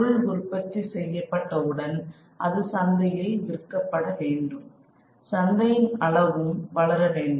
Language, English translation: Tamil, And once the material is produced it needs to be sold the market, that size of the market also has to grow